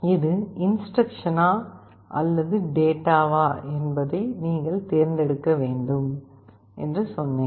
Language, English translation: Tamil, I told you have to select whether it is the instruction or a data